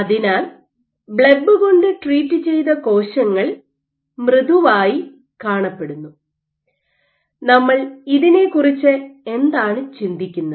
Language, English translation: Malayalam, So, blebb treated cells appear softer, but how do we think about it